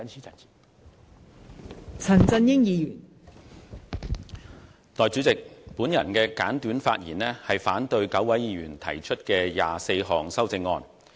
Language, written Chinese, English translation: Cantonese, 代理主席，我會作簡短發言，反對9位議員提出的24項修正案。, Deputy Chairman I will speak briefly against the 24 amendments proposed by 9 Members